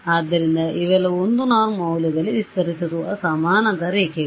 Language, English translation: Kannada, So, these are all parallel lines that are expanding in the value of the 1 norm